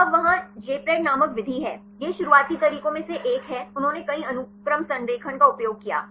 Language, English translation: Hindi, So, now there is the method called Jpred; this is the one of the earliest methods; they used the multiple sequence alignment